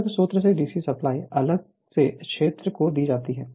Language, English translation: Hindi, You have from a different source DC supply separately is given to your field